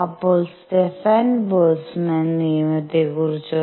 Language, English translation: Malayalam, How about Stefan Boltzmann’s law